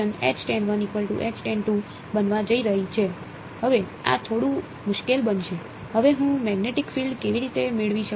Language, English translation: Gujarati, Now this is going to be a little bit tricky, how do I get the magnetic field now